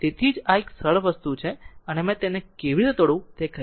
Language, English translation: Gujarati, So, that is why; so this is a simple thing and I told you how to break it